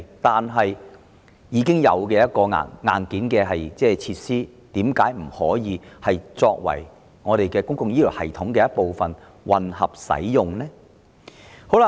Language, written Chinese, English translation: Cantonese, 但既然已有現存硬件設施，為何不能讓它們成為公共醫療系統的一部分作混合用途呢？, But since hardware facilities are currently available why can they not be made part of the public health care system for mixed delivery?